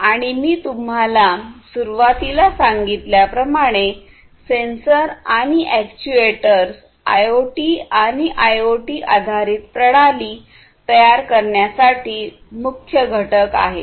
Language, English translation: Marathi, And as I told you at the outset sensors are, and, actuators are basically key to the building of IoT and IIoT based systems